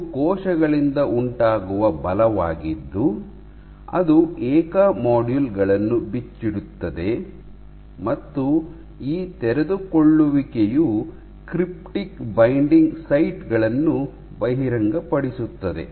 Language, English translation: Kannada, So, what it turns out it is actually forces exerted by cells which unfold individual modules and these unfolding exposes cryptic binding sites